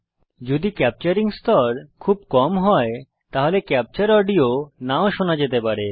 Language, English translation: Bengali, If the capturing level is set too low, the captured audio may not be heard